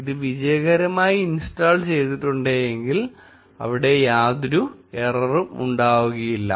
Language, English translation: Malayalam, If it has been successfully installed, there will be no error